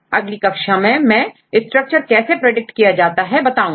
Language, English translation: Hindi, So, in later classes I will explain how to predict the structure from a sequence